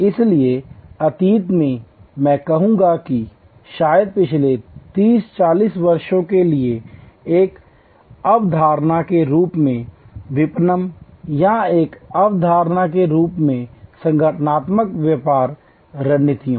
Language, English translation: Hindi, So, in the past I would say maybe for the past 30, 40 years marketing as a concept or even organizational business strategies as a concept